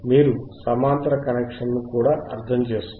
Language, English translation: Telugu, yYou also hasve to understand athe parallel connection